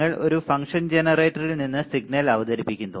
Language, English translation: Malayalam, You are introducing introducing a signal from a function generator